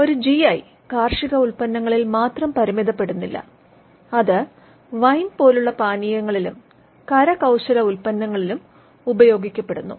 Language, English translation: Malayalam, A GI is not limited to agricultural products it extends to other products like wine, spirits, handicrafts etcetera